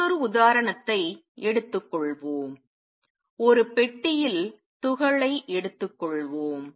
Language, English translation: Tamil, Let us take another example let us take particle in a box